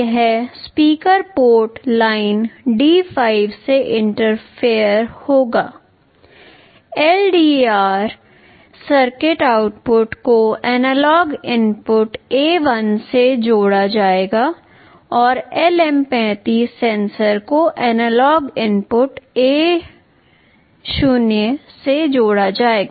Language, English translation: Hindi, This speaker will be interfaced from port line D5, the LDR circuit output will be connected to analog input A1, and the LM35 sensor will be connected to analog input A0